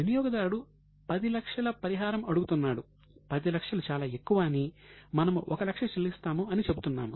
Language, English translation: Telugu, Customer is saying, we say no, 10 lakh is too much, we will pay you 1 lakh